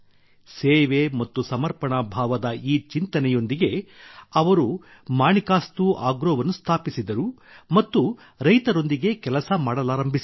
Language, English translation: Kannada, With this thinking full of service and dedication, they established Manikastu Agro and started working with the farmers